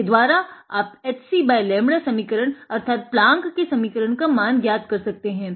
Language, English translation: Hindi, With that you can find out by h c by lambda relation; Planck’s relation